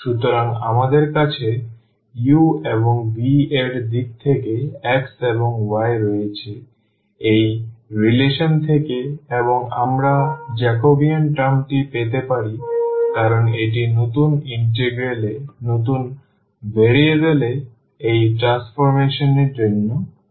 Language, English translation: Bengali, So, we have x and y in terms of u and v from the relations and we can get the Jacobean term because that is needed for these transformation in the new variable in the new integral